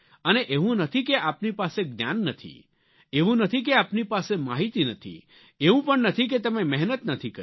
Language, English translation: Gujarati, It is not that you do not have the knowledge, it is not that you do not have the information, and it is not that you have not worked hard